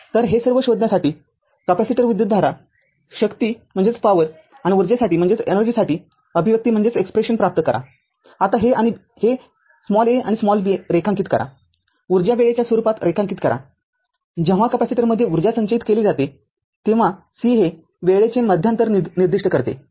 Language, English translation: Marathi, So, what what we have to do is that, we have to find out all these derive the expression for the capacitor current power and energy, this is now a, sketch b sketch the energy as function of time, c specify the inter interval of time when the energy is being stored in the capacitor right